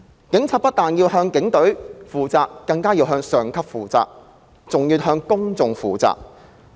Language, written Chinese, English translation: Cantonese, 警察不但要向警隊負責、向上級負責，還要向公眾負責。, Police officers are not only responsible to the Police Force and their superiors but also to the general public